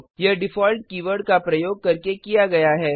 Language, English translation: Hindi, That is done by using the default keyword